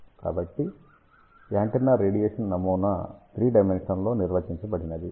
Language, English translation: Telugu, So, antenna radiation pattern is defined in three dimensional